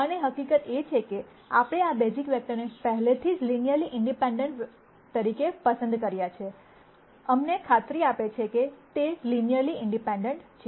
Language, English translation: Gujarati, And the fact that we have chosen these basis vectors as linearly independent already, assures us that those are linearly independent